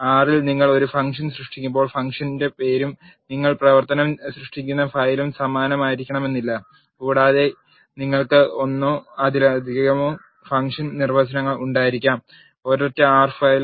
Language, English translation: Malayalam, In R when you are creating a function the function name and the file in which you are creating the function need not be same and you can have one or more function definitions in a single R file